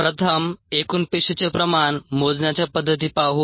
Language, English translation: Marathi, let us first look at the methods to measure total cell concentration